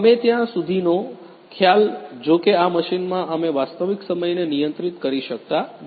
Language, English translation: Gujarati, We till concept, however in this machine we cannot controlled the real time